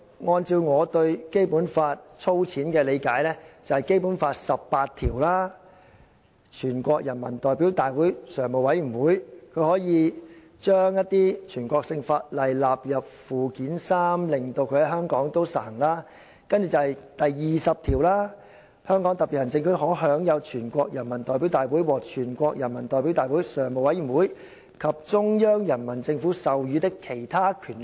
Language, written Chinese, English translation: Cantonese, 按照我對《基本法》粗淺的理解，這"數扇門"包括《基本法》第十八條訂明，全國人民代表大會常務委員會可以將一些全國性法律納入《基本法》附件三，令其在香港實行；然後，第二十條訂明："香港特別行政區可享有全國人民代表大會或全國人民代表大會常務委員及中央人民政府授予的其他權力。, According to my shallow understanding of the Basic Law the doors are Article 18 of the Basic Law stipulates that national laws may be listed in Annex III to the Basic Law by the Standing Committee of the National Peoples Congress NPCSC for application in Hong Kong; Article 20 stipulates that The Hong Kong Special Administrative Region may enjoy other powers granted to it by the National Peoples Congress the Standing Committee of the National Peoples Congress or the Central Peoples Government